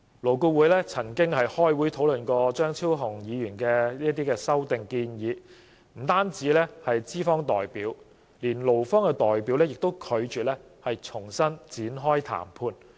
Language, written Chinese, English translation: Cantonese, 勞顧會曾召開會議討論張超雄議員的修正案，惟不僅資方代表，就連勞方代表也拒絕展開談判。, LAB had convened a meeting to discuss Dr Fernando CHEUNGs amendments; however not only the employer representatives but also the employee representatives refused to engage in discussion